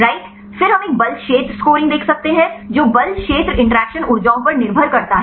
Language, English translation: Hindi, Then we can see a force field scoring that depending upon the force field interaction energies